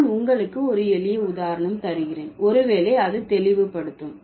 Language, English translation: Tamil, I'll give you a simple example, maybe that will clarify